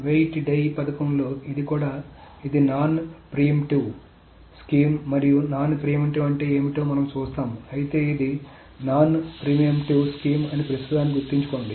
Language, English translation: Telugu, In the weight die scheme, this is also a non preemptive scheme and we will see what does a non preemptive mean but just remember for the time being that this is a non preemptive scheme